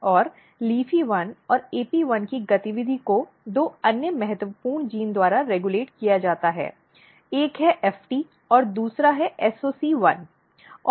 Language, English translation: Hindi, And the activity of LEAFY1 and AP1 is regulated by two another important gene one is FT and second one is SOC1